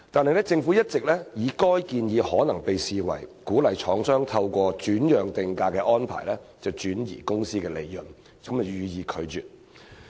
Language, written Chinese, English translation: Cantonese, 然而，政府一直以該建議可能被視為鼓勵廠商透過轉讓定價安排轉移公司利潤，予以拒絕。, However the Government has all along rejected the proposal on the ground that the proposal may be regarded as encouraging the manufacturers transfer of company profits via transfer pricing arrangement